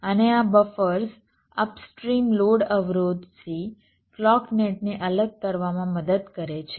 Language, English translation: Gujarati, right, and this buffers help in isolating the clock net from upstream load impedances